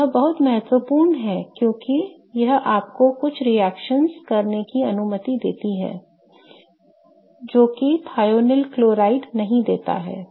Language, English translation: Hindi, And this is very important because what you will see is that it allows you to do some reactions that thionyl chloride wouldn't have allowed